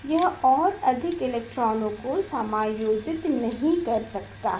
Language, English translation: Hindi, It cannot accommodate more electrons